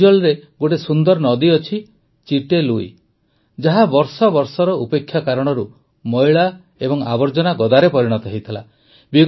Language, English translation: Odia, There is a beautiful river 'Chitte Lui' in Aizwal, which due to neglect for years, had turned into a heap of dirt and garbage